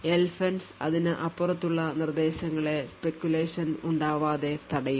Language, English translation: Malayalam, So, the LFENCE instruction would therefore prevent any speculation of beyond that instruction